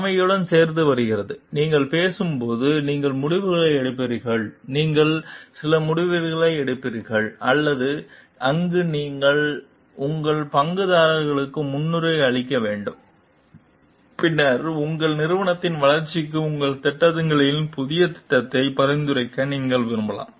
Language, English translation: Tamil, And along with the leadership comes, when you talk you are taking decisions, you there will be some decisions, which where you have to prioritize your stakeholders and then maybe you require you have to like suggest new schemes in your projects for the development of your organization